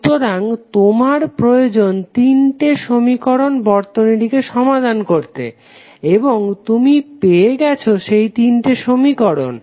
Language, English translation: Bengali, So, you need two equations to solve the circuit and you got these two equations